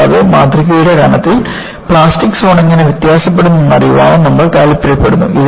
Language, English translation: Malayalam, And, you also want to know, how the plastic zone does vary, over the thickness of the specimen